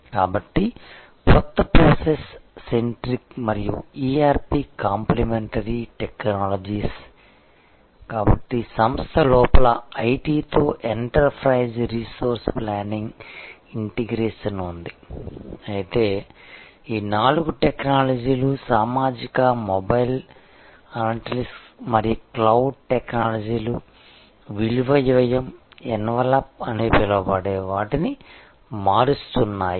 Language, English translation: Telugu, So, new process centric and ERP complimentary technologies, so within the organization there is enterprise resource planning integration with IT, but these four technologies social, mobile, analytics and cloud technologies they are changing what is known as the value cost envelop